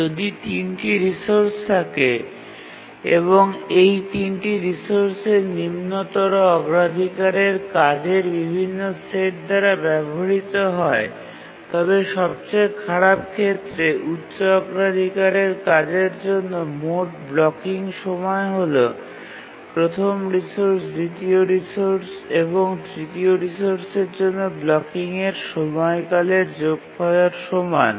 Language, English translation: Bengali, If there are three resources and these three resources are used by different sets of lower priority tasks, then the total blocking time for the high priority task in the worst case will be the blocking time for the first resource plus the blocking time of the second resource plus the blocking time of the third resource where the blocking time for each resource is given by theorem one